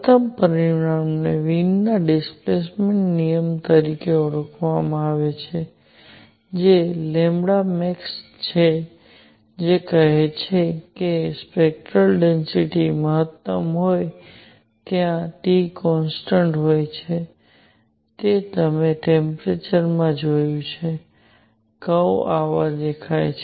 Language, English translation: Gujarati, First result is known as Wien’s displacement law which says that lambda max where the spectral density is maximum times T is a constant, you have seen that the temperature; the curves look like this